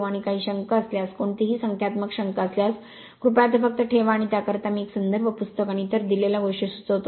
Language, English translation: Marathi, And any doubt any numerical doubt anything you have you please just put it and for that I suggest you take a reference book and other things given